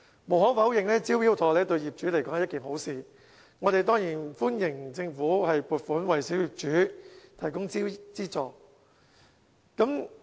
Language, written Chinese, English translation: Cantonese, 無可否認，"招標妥"對業主是一件好事，我們當然歡迎政府撥款為小業主提供資助。, It is undeniable that Smart Tender is helpful to owners and we certainly welcome the Governments funding for supporting owners